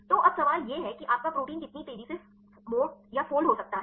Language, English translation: Hindi, So, now the question is how fast your protein can fold